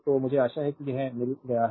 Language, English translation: Hindi, So, I hope you have got it this right